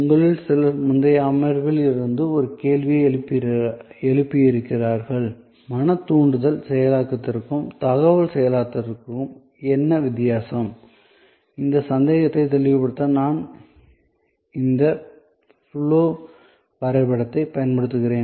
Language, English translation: Tamil, Some of you have sort of raised a question from a previous session that what is the difference between mental stimulus processing and information processing; I am using this flow chart to clarify that doubt as well